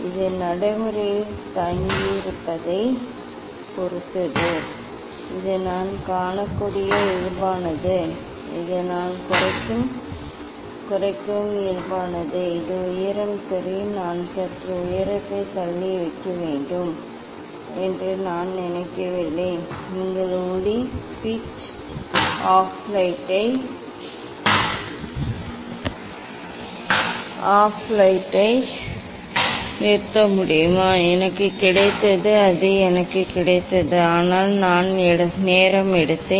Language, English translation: Tamil, it depends on practice you know little bit I can see it is this is the normal this surface I decrease is it height is ok, I do not think I have to put slightly height off, can you put off light switch off light, I got it I got it, but I took time